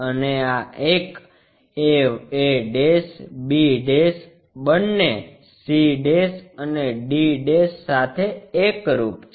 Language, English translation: Gujarati, And this one a', b', both are coinciding, c' and d'